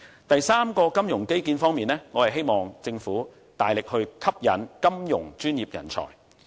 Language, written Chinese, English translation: Cantonese, 第三個金融基建方面，我希望政府能夠大力吸引金融專業人才。, The third thing about the financial infrastructure is that the Government should make strong efforts to attract financial professionals